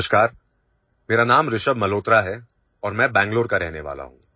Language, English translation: Hindi, Hello, my name is Rishabh Malhotra and I am from Bengaluru